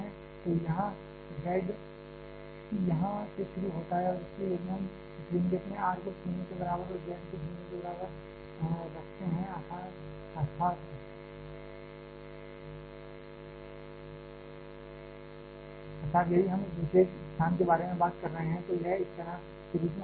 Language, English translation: Hindi, So, here z starts from here and hence if we put r equal to 0 and z equal to 0 in this expression that is if we are talking about this particular location then it reduces to a form like this